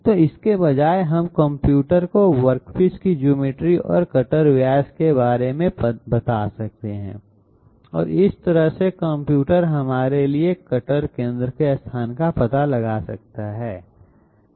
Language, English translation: Hindi, So instead of that we can intimate to the computer about the geometry of the work piece and the cutter diameter and that way the computer can find out for us the cutter locus cutter centre locus